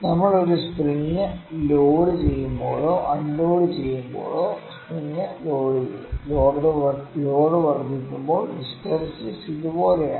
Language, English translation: Malayalam, When we load or unload a spring when will load the spring; when the load is increasing the hysteresis is something like this